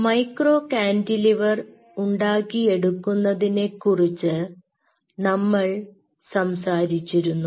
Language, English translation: Malayalam, ok, so as of now, we have talked about the development of micro cantilever, how we do it